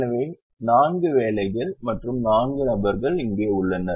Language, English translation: Tamil, so the four jobs and four persons are here